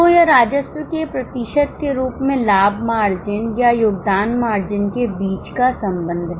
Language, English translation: Hindi, So, this is a relationship between the profit margin or a contribution margin as a percentage to revenue